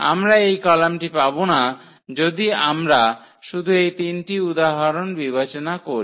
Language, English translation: Bengali, We will not get this column for instance, if we consider just with these three examples